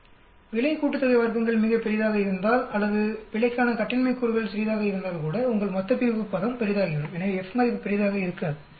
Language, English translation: Tamil, If the error sum of squares is very large or if the degrees of freedom for error is small also, your denominator term will become large so the F value will not be large